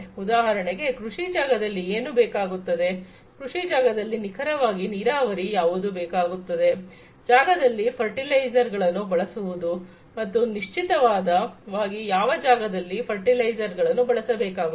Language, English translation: Kannada, For example, when it is you know when do you need in the agricultural field, when do you need precisely to irrigate the field, to put fertilizers in the field, and exactly the area, where the fertilizers will have to be applied